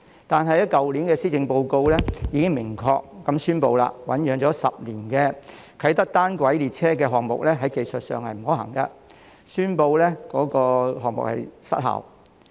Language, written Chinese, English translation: Cantonese, 但是，去年的施政報告已經明確宣布，醞釀10年的啟德單軌列車項目在技術上不可行，宣布項目失效。, However last years Policy Address has made it clear that the Kai Tak monorail project which has been in the pipeline for 10 years is technically infeasible and the project will not be pursued